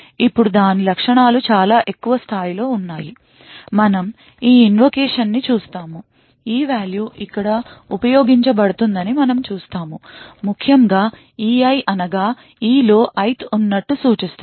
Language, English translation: Telugu, Now it features go through at a very high level, we just look at this invocation, we see that the e value is used over here, essentially e i would indicate the ith be present in e